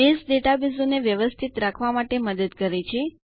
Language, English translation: Gujarati, Base helps you to manage databases